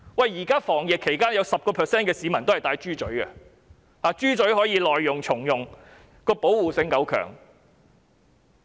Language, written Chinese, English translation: Cantonese, 現時防疫期間有 10% 市民也是佩戴"豬嘴"的，因為較為耐用，可以重用，而且保護性較高。, During the epidemic prevention period 10 % of people wear pigs snouts because they are durable reusable and more protective